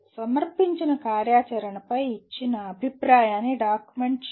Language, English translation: Telugu, Document the feedback given on a presented activity